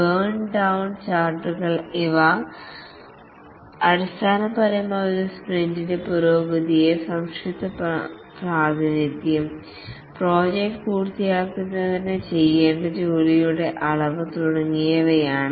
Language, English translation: Malayalam, The burn down charts, these are basically concise representations of the progress during a sprint, the amount of the work to be done for project completion and so on